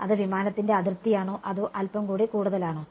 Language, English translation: Malayalam, Is it the boundary of the aircraft or little bit more